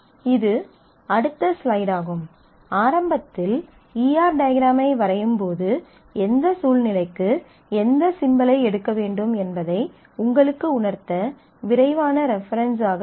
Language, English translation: Tamil, This is a next slide in that which will be a quick reference for you while you are initially doing the E R diagram so, that you know exactly which symbol to pick up for what situation